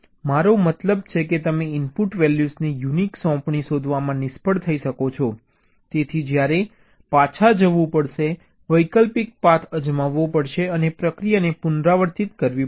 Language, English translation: Gujarati, you are, i mean you may fail to find the unique assignment of the input values, so you may have to go back, try an alternate path and repeat the process